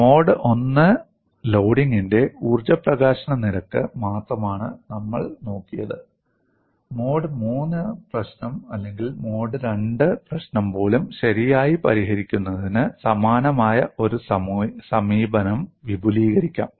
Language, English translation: Malayalam, See, all along we have only looked at the energy release rate for the case of mode 1 loading; a similar approach could be extended for solving even a mode 3 problem or mode 2 problem, if the problem is post property